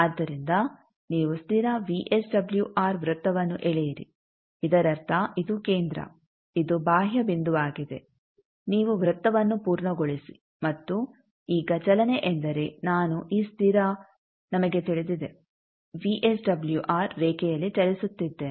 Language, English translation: Kannada, So, you draw constant VSWR circle that means this is the center, this is the peripheral point, you complete the circle, and now movement means I am moving on this constant VSWR line